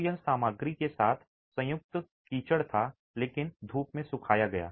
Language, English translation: Hindi, So, it was mud combined with materials but sun dried